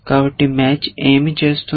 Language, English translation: Telugu, So, what is the match doing